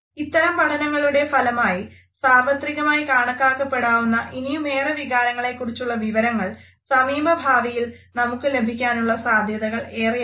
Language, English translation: Malayalam, So, it is quite possible that we may also get evidence of some more emotions which may be considered universal very shortly